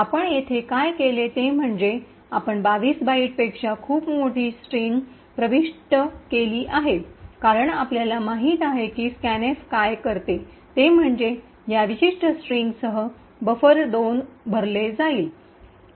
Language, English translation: Marathi, So, what we have done here is we have entered a very large string much larger than 22 bytes as you know what is scanf does is that it would fill the buffer 2 with this particular string